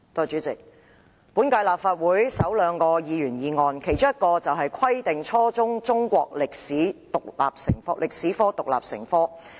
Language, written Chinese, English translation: Cantonese, 主席，本屆立法會首兩項議員議案，其中一項是"規定初中中國歷史獨立成科"。, President requiring the teaching of Chinese history as an independent subject is one of the first two Members motions in this term of the Legislative Council